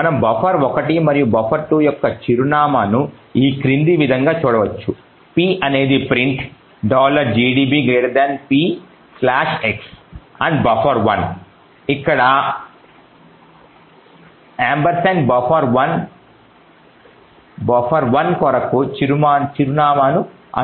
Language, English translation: Telugu, We can also look at the address of buffer 1 and buffer 2 as follows, like, p, which is a print, slash x and ampersand buffer 1 would provide the address for buffer 1